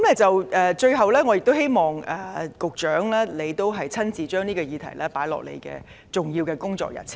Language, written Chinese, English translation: Cantonese, 最後，我希望局長把這項議題列入重要的工作日程。, Lastly I hope that the Secretary will include this issue as a priority item on his work schedule